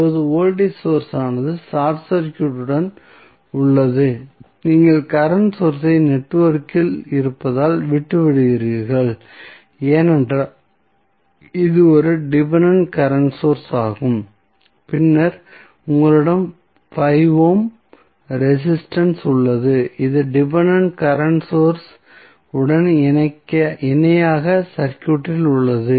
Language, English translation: Tamil, So, what will happen now the voltage source is short circuited, you are leaving current source as it is in the network, because it is a dependent current source and then you have 5 ohm resisters which is there in the circuit in parallel with dependent current source